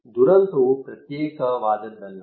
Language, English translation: Kannada, Disaster is not an isolated one